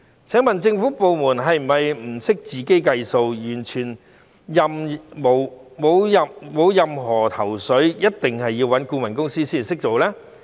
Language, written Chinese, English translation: Cantonese, 請問政府部門是否不懂得自己計算，完全沒有任何頭緒，一定要找顧問公司才會處理事情呢？, May I ask whether the government departments concerned have no capability to do the calculations themselves and have no ideas whatsoever but must deal with the matters through a consultancy firm?